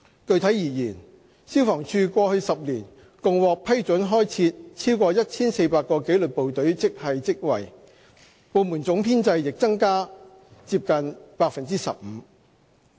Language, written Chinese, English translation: Cantonese, 具體而言，消防處過去10年共獲批准開設超過 1,400 個紀律部隊職系職位，部門總編制亦增加近 15%。, Specifically FSD has been given approval to create a total of more than 1 400 disciplined grade posts over the past decade and the overall establishment of the Department has increased by close to 15 %